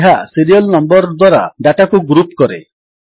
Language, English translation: Odia, This groups the data by Serial Number